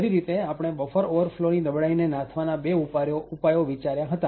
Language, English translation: Gujarati, Essentially, we discussed a couple of countermeasures for the buffer overflow vulnerability